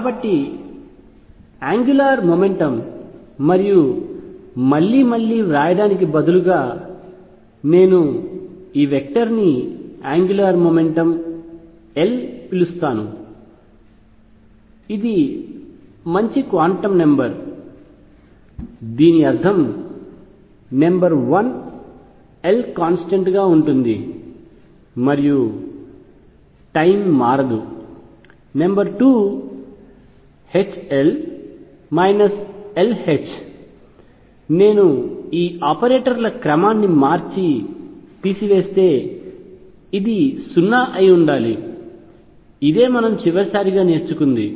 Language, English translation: Telugu, So, if angular momentum and rather than writing it again and again let me call this vector , angular momentum L is a good quantum number this means number one L is a constant and time it does not vary, number 2 H L minus L H if I change the order of these operators and subtract this should be 0 this is what we have learnt last time